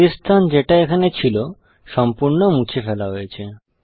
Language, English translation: Bengali, The white space that was here has been completely removed